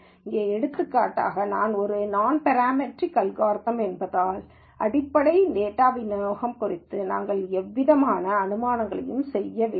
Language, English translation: Tamil, Here for example, because this is a nonparametric algorithm, we really do not make any assumptions about the underlying data distribution